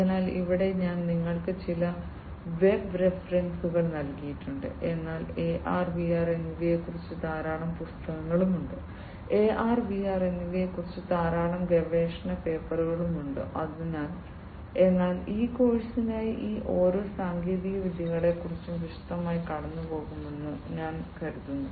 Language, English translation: Malayalam, So, here I have given you some of the web references, but there are many books on AR and VR, there are many research papers on AR and VR, but I think for this course that, you know, going through in detail of each of these technologies is necessary, it is not easy to understand each of them in detail unless you want to really you know get an in depth understanding though about AR and VR